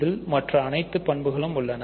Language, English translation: Tamil, It has all the other properties